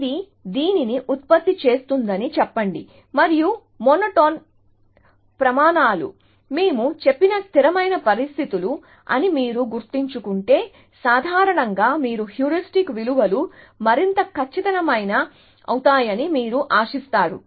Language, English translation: Telugu, So, let us say it generates this and if you remember the monotone criteria are consistency conditions that we said, that they in generally you expect the heuristic values to become more accurate